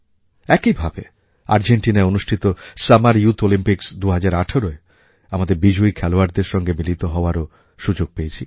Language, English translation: Bengali, Similarly, I was blessed with a chance to meet our winners of the Summer youth Olympics 2018 held in Argentina